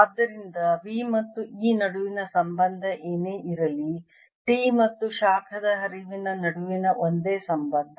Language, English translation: Kannada, so whatever the relationship is between v and e is the same relationship between t and the heat flow